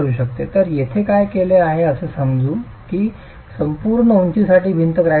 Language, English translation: Marathi, So what is done here is we assume that the wall is cracked for the full height